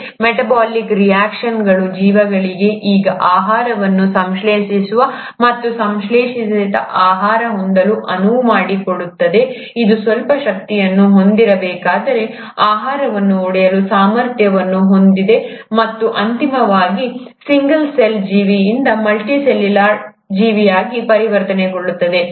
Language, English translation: Kannada, These metabolic reactions to allow an organism to now synthesize food, and having synthesized food, also have the ability to break down the food if it needs to have some energy, and eventually transition from a single celled organism to a multi cellular organism